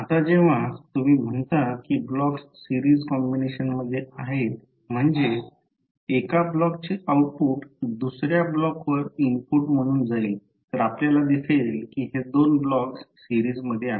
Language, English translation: Marathi, Now, when you say that the blocks are in series combination it means that the blocks, the output of one block will go to other block as an input then we will see that these two blocks are in series